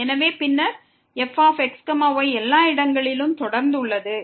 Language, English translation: Tamil, So, then the is continuous everywhere